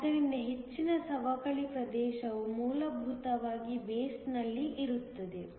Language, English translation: Kannada, So, most of the depletion region will essentially lie in the base